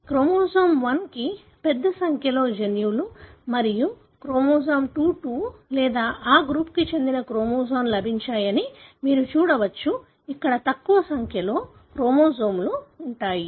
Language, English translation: Telugu, So, you can see that chromosome 1 has got a large number of genes and chromosome 22 or the chromosome that belong to this group, over here, have fewer number of chromosomes, which is expected